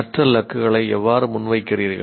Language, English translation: Tamil, How do you present the learning goals